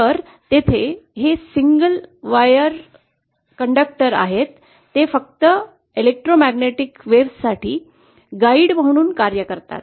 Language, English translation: Marathi, So here these single wire conductors, they simply act as a guide for electromagnetic waves